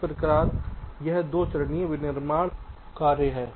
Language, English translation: Hindi, so this is how this two step manufacturing works